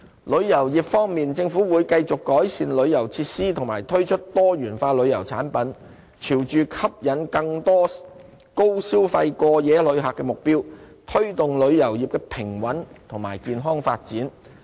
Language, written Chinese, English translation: Cantonese, 旅遊業方面，政府會繼續改善旅遊設施和推出多元化旅遊產品，朝着吸引更多高消費過夜旅客的目標，推動旅遊業的平穩及健康發展。, Regarding tourism the Government will keep on improving tourist facilities and introduce diversified tourism products with a view to drawing more high - yield overnight visitors and promoting balanced and healthy tourism development